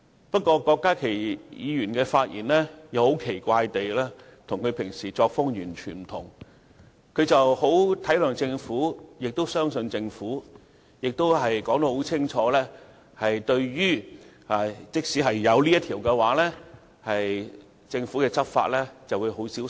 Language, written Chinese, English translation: Cantonese, 不過，郭家麒議員今天的發言很奇怪地與他平時的發言全然不同，他十分體諒亦相信政府，清楚指出即使通過《條例草案》，政府在執法的時候也會很小心。, It is rather strange that the speech made by Dr KWOK Ka - ki today deviates substantially from those he usually makes . He is considerate and trustful of the Government pointing out clearly that the Government will enforce the law with great care even after the passage of the Bill